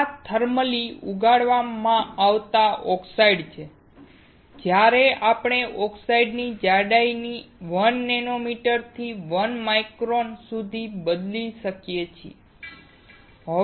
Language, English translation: Gujarati, This is thermally grown oxides where we can vary the thickness of the oxide from 1 nanometer to 1 micron